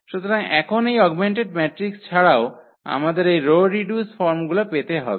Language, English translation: Bengali, So, now out of this augmented matrix, we have to get this row reduced forms